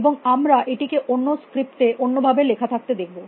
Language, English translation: Bengali, We could have in different script, we could have written it differently